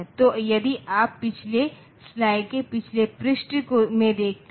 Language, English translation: Hindi, So, if you look into the previous slide previous page